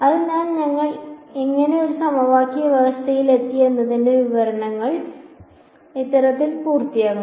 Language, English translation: Malayalam, So, this sort of completes the description of how we arrived at a system of equation